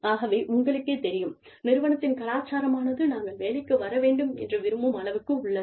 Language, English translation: Tamil, So, you know, the culture of the organization is such that, we want to come to work